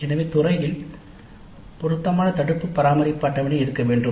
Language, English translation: Tamil, So there must be an appropriate preventive maintenance schedule by the department